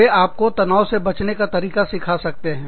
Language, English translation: Hindi, They could teach you, how to, you know, have not be stressed